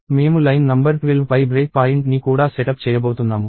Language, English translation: Telugu, I am also going to set up a break point on line number 12